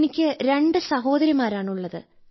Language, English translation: Malayalam, Actually I have two elder sisters, sir